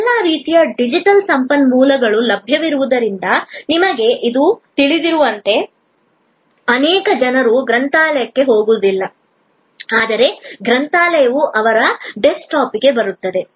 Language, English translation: Kannada, As you know today with all kinds of digital resources being available, many people do not go to the library, but that the library comes to their desktop